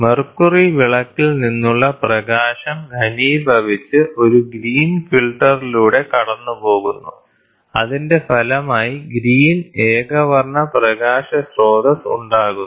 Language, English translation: Malayalam, The light from the mercury lamp is condensed and passed through a green filter, resulting in the green monochromatic light source